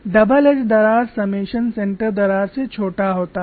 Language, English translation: Hindi, Double edge crack summation is shorter than the center crack